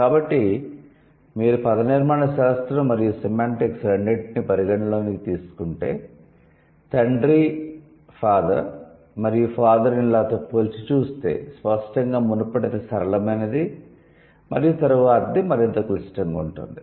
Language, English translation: Telugu, So, both if you take into account the morphology and semantics, father versus father in law, that's going to be like if you compare it then obviously the previous one is simpler and the later one is more complex